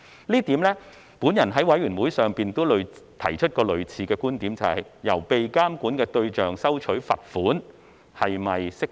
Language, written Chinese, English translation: Cantonese, 就此，我在法案委員會上也曾提出類似觀點，就是向被監管的對象收取罰款是否適當。, In this regard I have raised a similar viewpoint in the Bills Committee on whether it is appropriate to collect fines from the regulatees